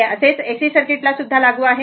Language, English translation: Marathi, Same will be applicable to your AC circuit also